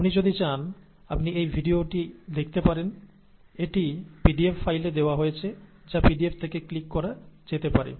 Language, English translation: Bengali, If you want, you could look at this video, which is also given in the pdf file, which can be clicked from the pdf itself